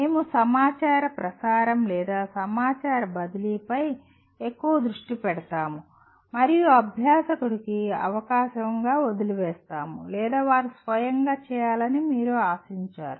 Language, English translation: Telugu, We focus more on information transmission or information transfer and leave the learner’s engagement to either chance or you expect them to do on their own